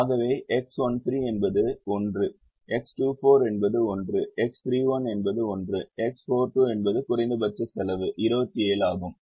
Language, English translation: Tamil, so x, one, three is one x two, for is one x three, one is one x four, to is one with minimum cost equal to twenty seven